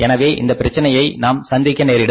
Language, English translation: Tamil, So, we are going to face this problem